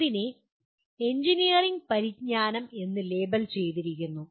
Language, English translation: Malayalam, It is labelled as engineering knowledge